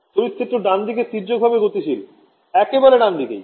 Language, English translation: Bengali, Electric field is transverse right consistently right